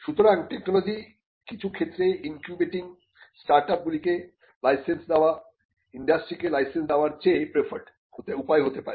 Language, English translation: Bengali, So, in certain fields of technology incubating startups could be much preferred way than licensing the technology to the industry